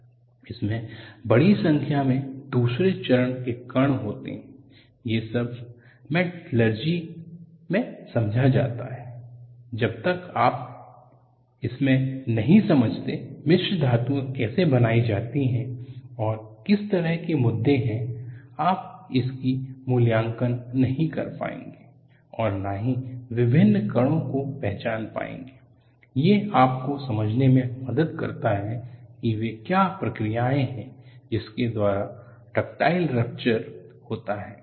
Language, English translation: Hindi, They contain a large number of second phase particles, these are all understanding from metallurgy, say unless, you go into, how alloying is done and what kind of issues, you will not be able to appreciate this and recognizing the kind of various particles, helps you to understand, what are the processors, by which ductile rupture takes place